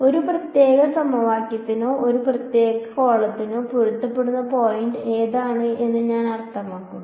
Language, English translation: Malayalam, I mean which does it correspond to a particular equation or a particular column the matching point